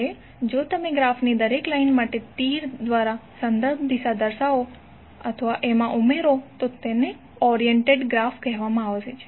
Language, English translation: Gujarati, Now if you add the reference directions by an arrow for each of the lines of the graph then it is called as oriented graph